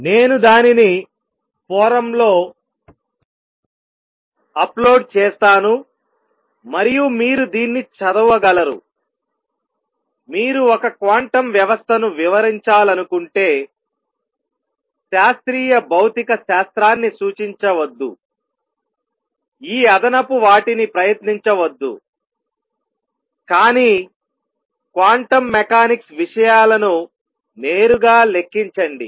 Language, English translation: Telugu, I will give that reference I will upload it on the forum and you can read it, he says that if you want to describe a quantum system do not refer to classical physics, do not try to this extra pollution all that, but calculate quantum mechanical things directly